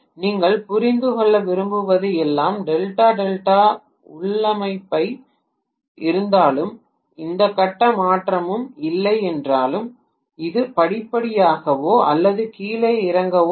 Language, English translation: Tamil, All I want you to understand is if it is Delta Delta configuration although there is no phase shift, although that is no step up or step down